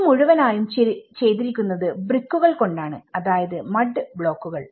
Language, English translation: Malayalam, This is completely done with the bricks, you know with the mud blocks